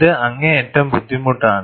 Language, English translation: Malayalam, It becomes extremely difficult